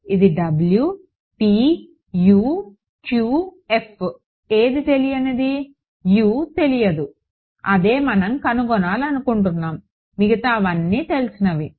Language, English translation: Telugu, Is it w p u q f which is unknown U is unknown that is what we want to find out everything else is known